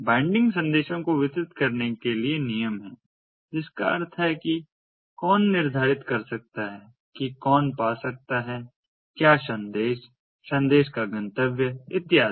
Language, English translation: Hindi, bindings are rules for distributing the messages, which means that who can, determining who can access what message, the destinations of the message and so on